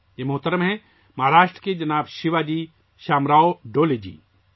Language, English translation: Urdu, This is a gentleman, Shriman Shivaji Shamrao Dole from Maharashtra